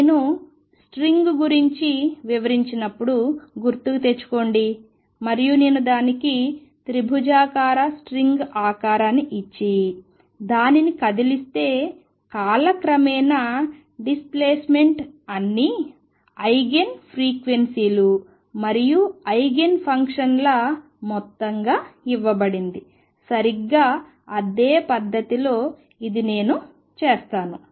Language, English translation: Telugu, Recall when I did the string and I said if I give it a shape of triangular string and displays it, the with time the displacement was given as a sum of all the eigen frequencies and eigen functions, in exactly the same manner this would I am going to write